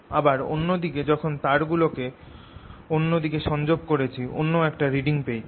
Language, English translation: Bengali, on the other hand, when i connected the wires on the other side, i got a different reading